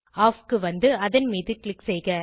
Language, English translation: Tamil, scroll down to Off and click on it